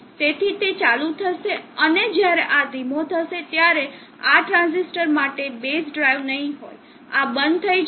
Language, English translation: Gujarati, So that will turn on and when this goes slow this will, there would not be base drive for this transistor, this will go off